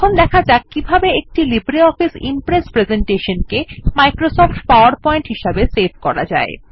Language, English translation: Bengali, Next,lets learn how to save a LibreOffice Impress presentation as a Microsoft PowerPoint presentation